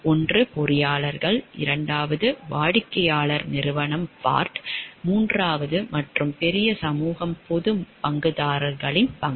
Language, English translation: Tamil, One is the engineers, second is the client, the company, the Bart, and third and the major society the stake who large stakeholder which is the public